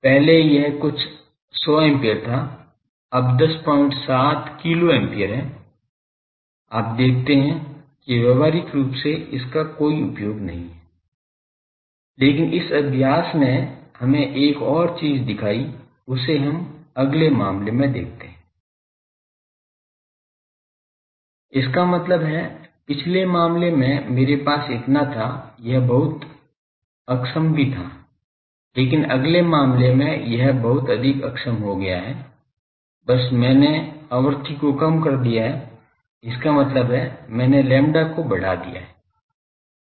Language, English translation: Hindi, 7 kilo ampere so, you see is practically there is no use for this, but this also this exercise showed us one more, thing you see that why in the next case; that means, in previous case I have this much it was also in efficient, but next case it became much more in efficient just I have decrease the frequency; that means, I increase the lambda